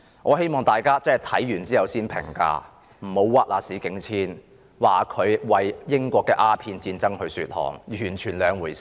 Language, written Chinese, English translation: Cantonese, 我希望大家讀畢後才作出評價，不要冤枉史景遷，批評他為英國的鴉片戰爭說項，完全是兩回事。, I hope people will finish reading this book before make any comments . Please do justice to Jonathan SPENCE and do not criticize him for making excuses for the Opium War waged by Britain . These are two entirely different things